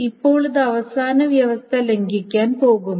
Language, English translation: Malayalam, Now that is going to violate the last condition